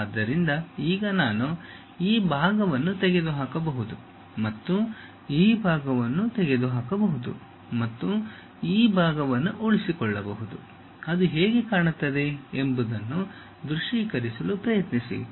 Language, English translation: Kannada, So, now I can remove this part and remove this part and retain this part, try to visualize how it looks like